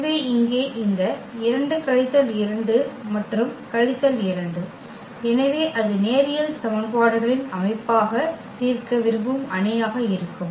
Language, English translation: Tamil, So, here this 2 minus 2 and minus 2, so that will be the matrix there which we want to solve as the system of linear equations